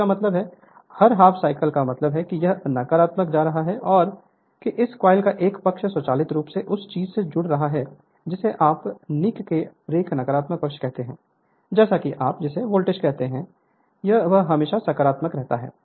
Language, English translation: Hindi, That means, every half cycle I mean when it is going to the negative that one side of the coil automatically connected to the your what you call nik’s brush right negative side such that your what you call that you are voltage always will remain your in the positive, so DC